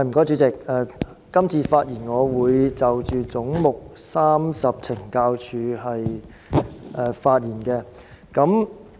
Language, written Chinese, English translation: Cantonese, 主席，今次我會就"總目 30— 懲教署"發言。, Chairman I will speak on Head 30―Correctional Services Department this time